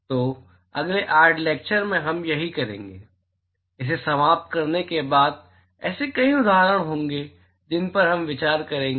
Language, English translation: Hindi, So, that is what we will sort of do in next 8 lectures, after we finish this, there will be several examples several examples that we will go through